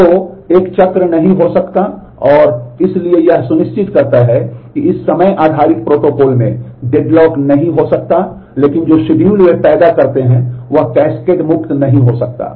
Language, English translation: Hindi, So, there cannot be a cycle and so this ensures that there cannot be deadlock in this time based protocol, but the schedules that they produce they may not be cascade free